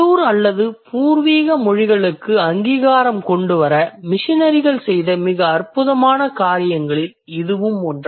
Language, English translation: Tamil, So that is one of the most wonderful things that the missionaries could do to bring recognition to the local or to the indigenous languages for that matter